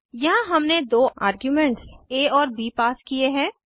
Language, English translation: Hindi, Here we have passed two arguments as a and b